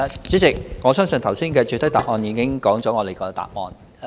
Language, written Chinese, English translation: Cantonese, 主席，我相信剛才的主體答覆已說出我們的答案。, President I believe we have stated our answer in the main reply given just now